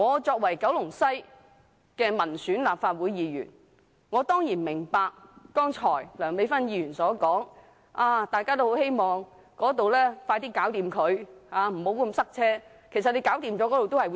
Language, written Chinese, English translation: Cantonese, 作為九龍西的民選立法會議員，我當然明白剛才梁美芬議員所說，大家都希望高鐵工程盡快完成，避免交通嚴重擠塞。, As an elected Member of the West Kowloon Constituency I can certainly appreciate the remark made by Dr Priscilla LEUNG just now that the speedy completion of XRL is much and widely anticipated so that serious traffic congestion can be avoided